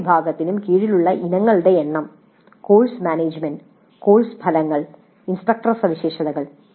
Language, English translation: Malayalam, Number of items under each category, course management, course outcomes, instructor characteristics like this